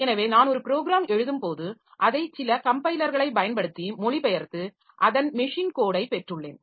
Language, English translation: Tamil, So, when I write a program I have translated it in using some compiler and I have got the machine code of it